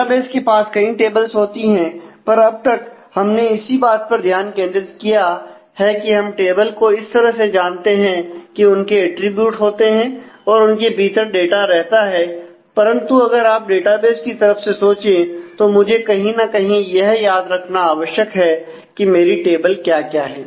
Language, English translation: Hindi, The database as a whole has a whole lot of tables; and so far we have just been focus on the fact that tables we know the tables we know their attributes and the data resides in inside, but if you think in terms of the database, then somebody; somewhere we will need to remember that what are my tables